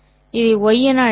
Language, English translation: Tamil, You could have called this as y